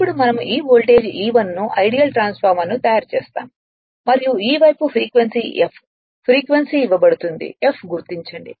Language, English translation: Telugu, Now we make an ideal transformer right same thing these the voltage E 1 and this this side is frequency F frequency is given mark is f right